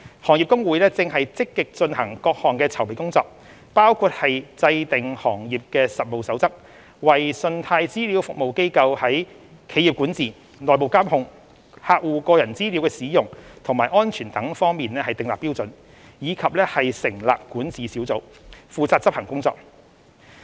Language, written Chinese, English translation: Cantonese, 行業公會正積極進行各項籌備工作，包括制訂《行業實務守則》，為信貸資料服務機構在企業管治、內部監控、客戶個人資料的使用和安全等方面訂立標準；以及成立管治小組，負責執行工作。, The Industry Associations are actively pursuing various preparatory work including the drawing up of a code of practice for the CRA industry to stipulate applicable standards on various aspects including corporate governance internal control and use and protection of customer data; as well as the setting up of a governance body to enforce the relevant work